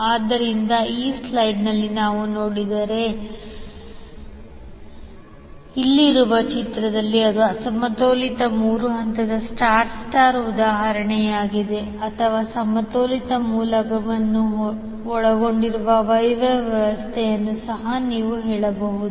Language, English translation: Kannada, So in the figure which we just saw in this slide this is an example of unbalanced three phase star star or you can also say Y Y system that consists of balance source